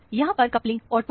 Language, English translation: Hindi, The coupling is ortho here